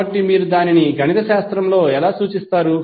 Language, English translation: Telugu, So how you will represent it mathematically